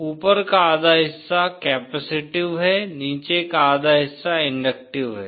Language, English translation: Hindi, Top half is capacitive, bottom half is inductive